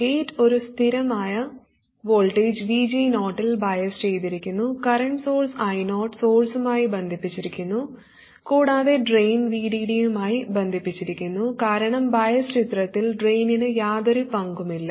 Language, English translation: Malayalam, Now what we will try to do is to realize a constant voltage VG 0 and a current source I 0 is connected to the source and the drain is connected to the source and the drain is connected to VD because in the biasing picture the drain plays no role